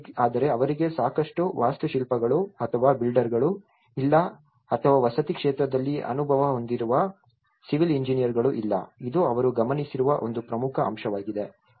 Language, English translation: Kannada, But they do not have enough architects or builders or the civil engineers who has an experience in housing, this is one important aspect which they have looked into it